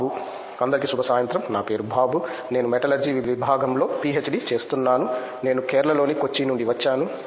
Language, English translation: Telugu, Good evening everyone my name is Bobu I am doing my PhD in Metallurgy Department, I am from Kochi, Kerala